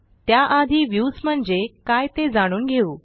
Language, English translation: Marathi, Before that, let us learn about Views